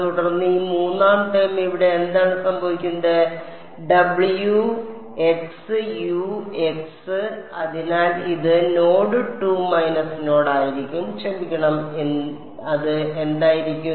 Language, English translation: Malayalam, And then this third term over here what happens, w x u x so it will be a minus w x is T 2 x u prime x at node 2 minus node sorry what will it be